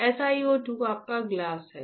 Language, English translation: Hindi, SiO 2 is your glass